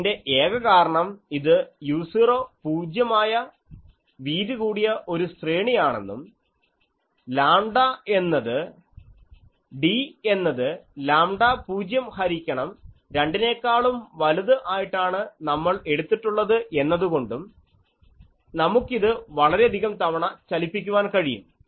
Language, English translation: Malayalam, So, many times it is revolving actually, it is just because it is a case of a broad side array u 0 is 0 and we have taken d is greater than lambda 0 by 2 so, we can move it so many times